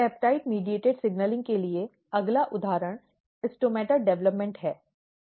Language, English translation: Hindi, Next example for peptide mediated signaling is stomata development